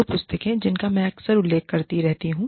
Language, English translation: Hindi, Two books, that i have been referring to, very often